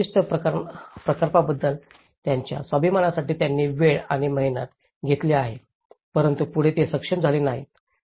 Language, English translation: Marathi, They have invested time and effort for their self esteem of that particular project but they were not able to do it further